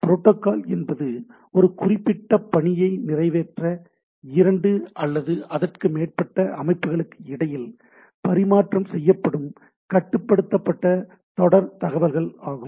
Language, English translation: Tamil, So, protocol is a controlled sequence of messages that is exchange between the two or more system to accomplish a given task right